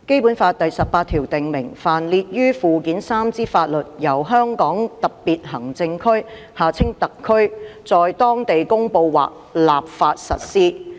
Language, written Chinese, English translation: Cantonese, 《基本法》第十八條訂明，凡列於附件三之法律，由香港特別行政區在當地公布或立法實施。, Article 18 of the Basic Law stipulates that the laws listed in Annex III shall be applied locally by way of promulgation or legislation by the Hong Kong Special Administrative Region SAR